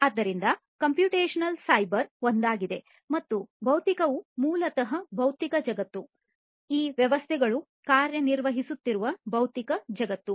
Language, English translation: Kannada, So, computational is the cyber one and physical is basically the physical world in which these systems are operating, physical world